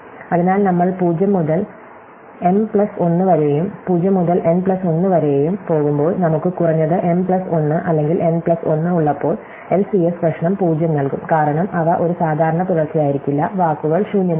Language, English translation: Malayalam, So, we will go from 0 to m plus 1 and 0 to n plus 1 and when, we have reached m plus 1 or n plus 1, then the LCS problem will give a 0, because they cannot be a common subsequence, since one of the words going to be empty